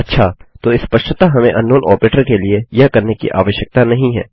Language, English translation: Hindi, Okay so obviously we dont need to do that for unknown operator